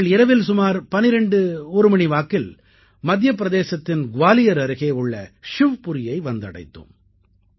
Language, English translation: Tamil, Past midnight, around 12 or 1, we reached Shivpuri, near Gwalior in Madhya Pradesh